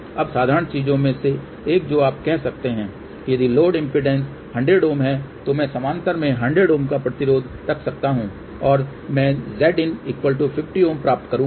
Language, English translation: Hindi, Now, one of the simple thing you may thing that ok if the load impedance is 100 Ohm , I can put 100 Ohm resistor in parallel and I would get Z input equal to 50 Ohm